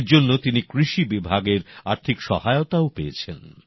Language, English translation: Bengali, For this, he also received financial assistance from the Agricultural department